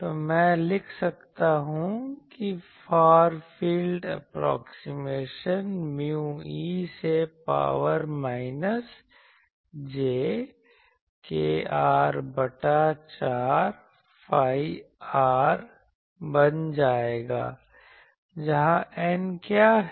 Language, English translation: Hindi, So, I can write that far field approximation if I put it here, it will become mu e to the power minus jkr by 4 phi r, where what is N